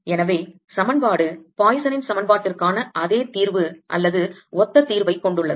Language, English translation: Tamil, therefore the equation has the same solution, or similar solution, as for the poisson's equation